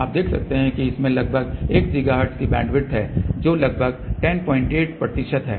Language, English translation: Hindi, You can see that it has a bandwidth of approximately 1 gigahertz which is about 10